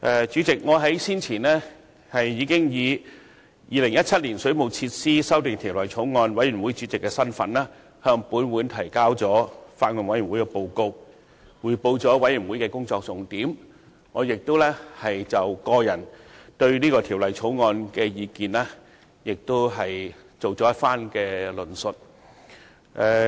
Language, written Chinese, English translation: Cantonese, 主席，我先前已經以《2017年水務設施條例草案》委員會主席的身份，向本會提交法案委員會的報告，匯報法案委員會的工作重點，並已就我對《條例草案》的個人意見作出論述。, President in my capacity as Chairman of the Bills Committee on the Waterworks Amendment Bill 2017 I have earlier submitted the report of the Bills Committee to this Council and report on the major areas of work of the Bills Committee . I have also given my personal views on the Bill